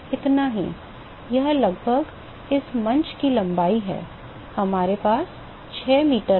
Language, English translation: Hindi, That is how much, that is almost the length of this dais right 6 meter we have